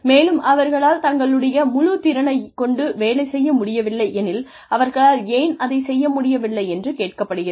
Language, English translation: Tamil, And, if they have not been able to perform to their fullest potential, why they have not been able to do so